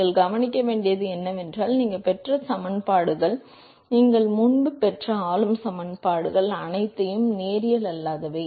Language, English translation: Tamil, And what is important to also note is that the equations that you got, the governing equations that you got earlier they were all non linear